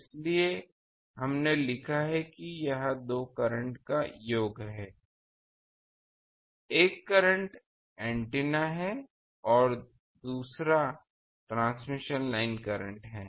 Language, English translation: Hindi, That is why we have written that this is sum of two current; one is antenna current, another is the transmission line current